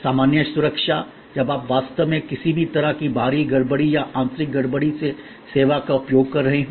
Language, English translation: Hindi, There can be in general safety and security, when you are actually using the service from any kind of external disturbances or internal disturbances